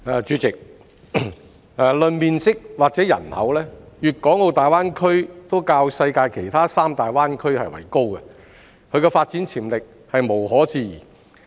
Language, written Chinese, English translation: Cantonese, 代理主席，論面積和人口，粵港澳大灣區都較世界其他三大灣區為高，其發展潛力無可置疑。, Deputy President the Guangdong - Hong Kong - Macao Greater Bay Area GBA is larger than the other three major bay areas in the world in terms of area and population and its development potentials are indisputable